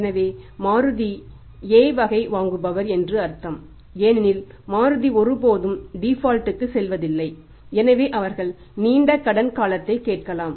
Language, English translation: Tamil, So it means Maruti is A class buyer because Maruti is never going to default they may ask for the longer credit period